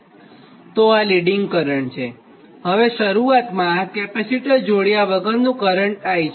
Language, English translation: Gujarati, now this current, initially this without capacitor, this current was i